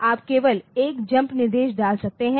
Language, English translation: Hindi, So, you can put a jump instruction only